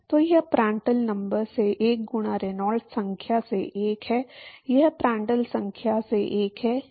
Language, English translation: Hindi, So this is 1 by Prandtl number into 1 by Reynolds number this is 1 by Prandtl number